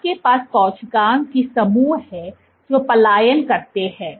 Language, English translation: Hindi, You have groups of cells which migrate